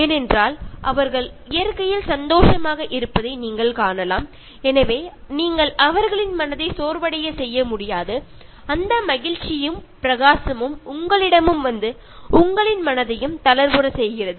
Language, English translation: Tamil, Because you will see that they are joyful in nature, so you cannot make them feel depressed and that joy and radiance will come to you and will make you feel light hearted